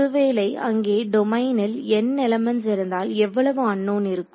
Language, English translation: Tamil, If there are n elements in the domain how many unknowns are there